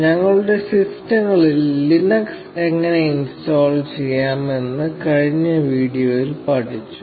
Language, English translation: Malayalam, In the last video we learnt how to install Linux on our systems